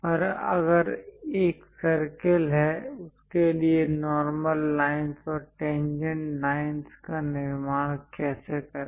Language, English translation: Hindi, And if there is a circle how to construct normal lines and tangent lines to the circle